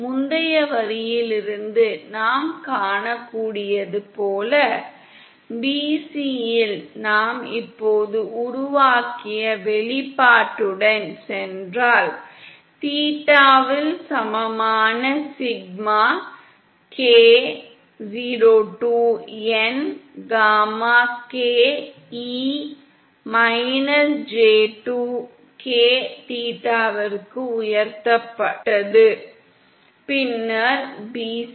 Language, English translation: Tamil, As we can see from the previous line, at bc if we go with the expression that we have just derived, gamma in theta equal sigma k 02n, gamma k e raised to –j2k theta, then at bc this is simply equal to gamma k